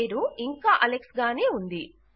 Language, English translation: Telugu, The name is still Alex